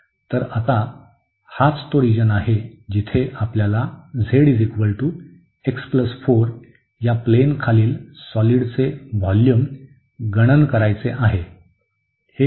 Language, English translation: Marathi, So, now this is the region where we want to get the volume below the z is equal to x plus 4 plane